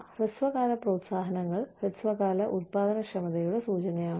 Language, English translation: Malayalam, Short term incentives are, indicative of, and a result of short term productivity